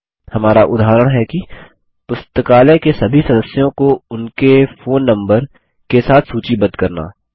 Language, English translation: Hindi, our example is to list all the members of the Library along with their phone numbers